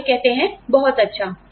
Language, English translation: Hindi, And, they say, great